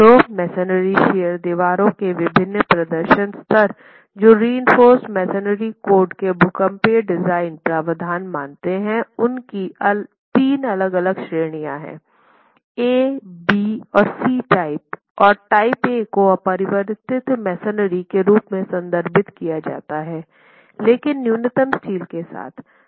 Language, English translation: Hindi, So, the different performance levels of the masonry shear walls that the seismic design provisions of the reinforced masonry code considers are three different categories, type A, type B and type C, and type A is what is referred to as unreinforced masonry but detailed with minimum steel